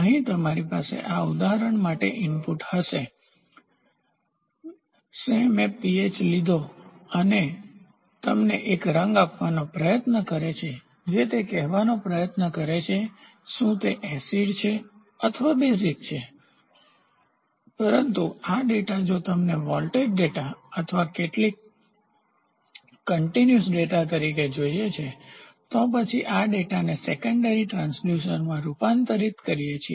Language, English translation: Gujarati, So, it measures the pH and tries to give you a colour which tries to say whether it is acid or basic, but this data if you want it as voltage data or some continuous data, then, we convert this data into secondary transducer